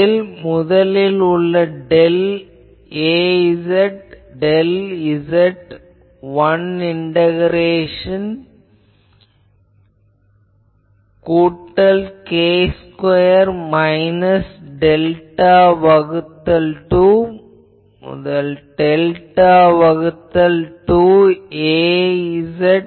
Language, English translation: Tamil, The first one will be that del Az del z one integration plus k square minus delta by 2 to delta by 2 Az dz for whole limit